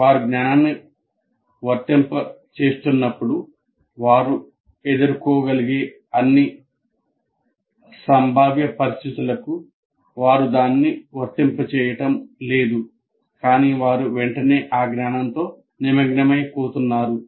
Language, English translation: Telugu, As we said, when they're applying the knowledge, they are not applying it to all conceivable situations that one is likely to encounter, but is immediately getting engaged with that knowledge